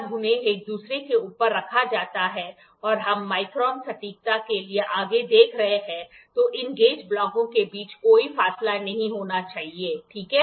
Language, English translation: Hindi, When they are placed one above each other and we are looking forward for micron accuracy, then there should not be any gap between these gauge blocks, ok